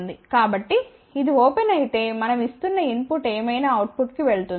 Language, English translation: Telugu, So, if this is open whatever is the input we are giving that will go to the output